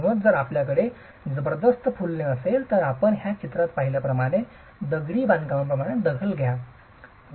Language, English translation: Marathi, So, if you have heavy efflorescence, you will have staining in masonry as you see in this picture